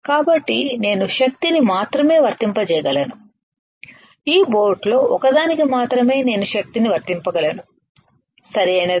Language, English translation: Telugu, So, I can only apply power I can only apply power at a time to one of this boat to one of this boat, right